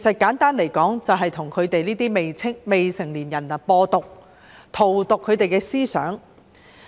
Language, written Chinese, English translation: Cantonese, 簡單來說，就是向這些未成年人"播毒"，荼毒他們的思想。, Simply put they were meant to poison and corrupt the minds of minors